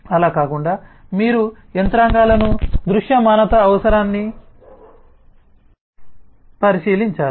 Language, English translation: Telugu, besides that, you will have to look into the mechanisms, the visibility requirement